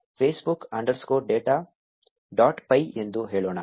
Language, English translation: Kannada, Let us say facebook underscore data dot py